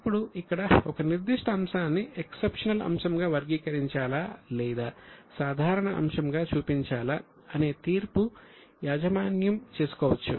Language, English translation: Telugu, Now here the judgment is given to the management whether a particular item is to be classified exceptional or to be shown as a normal item